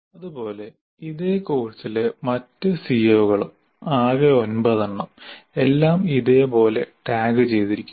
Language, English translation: Malayalam, Similarly, the other CBOs of the same course, we have created as nine of them, they're all tagged correspondingly